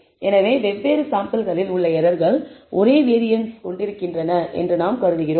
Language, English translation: Tamil, So, we are assuming that the errors in different samples are also having the same variance